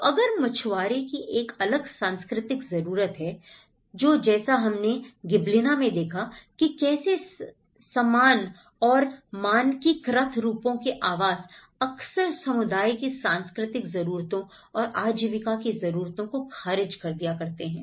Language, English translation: Hindi, So if, the fisherman has a different cultural need and similar to the Gibellina of understanding of the uniform and the standardized forms of housing and how it often gets rejected by the communities because of their cultural needs, livelihood needs